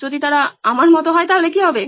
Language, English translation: Bengali, What if they are like me